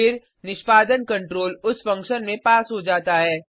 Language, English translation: Hindi, Then, the execution control is passed to that function